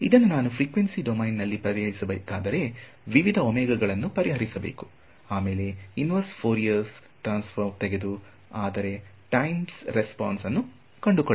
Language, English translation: Kannada, So, if I wanted to solve this problem in frequency domain, I have to solve for various omegas; then take the inverse Fourier transform and get the time response